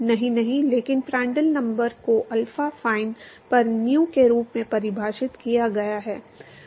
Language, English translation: Hindi, No no, but Prandtl number is simply defined as nu over alpha fine